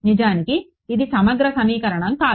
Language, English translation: Telugu, In fact, it is not an integral equation ok